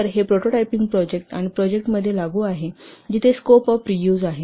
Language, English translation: Marathi, So this is applicable to prototyping projects and projects where the extensive scope of reuse